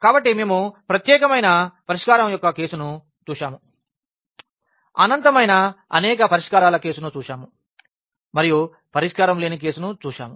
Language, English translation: Telugu, So, we have seen the case of the unique solution, we have seen the case of the infinitely many solutions and we have seen the case of no solution